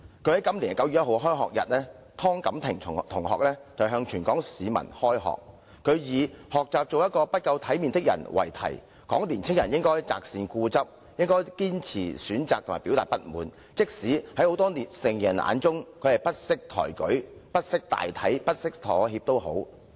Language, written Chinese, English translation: Cantonese, 她於今年9月1日的開學日致辭時，以學習做一個不夠體面的人為題，指出年輕人應該擇善固執，堅持選擇及表達不滿，那管她在許多成年人眼中是不識抬舉、不識大體和不識妥協。, In her speech on learning to be an undignified person delivered on the first day of school on 1 September this year she pointed out that young people should insist on the righteous cause stand firm to their choices and express their dissatisfaction disregarding that they may be considered by many adults as unruly undignified and uncompromising